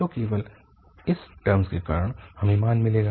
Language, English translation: Hindi, So only because of this term we will get the value